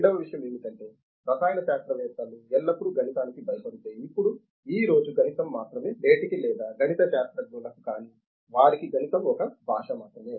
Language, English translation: Telugu, Second thing is if the chemists are always afraid of mathematics, now today mathematics is only, even today or everything mathematics is only a language for non mathematicians